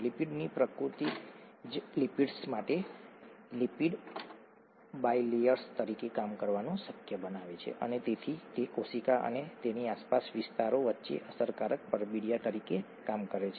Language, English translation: Gujarati, The nature of the lipid itself makes it possible for lipids to act as or lipid bilayers to act as effective envelopes between the cell and their surroundings